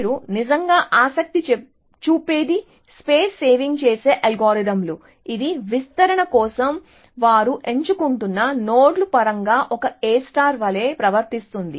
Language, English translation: Telugu, So, what you would be really interested in is space saving algorithms, which behave more like A star in terms of the nodes that they are picking for expansion as well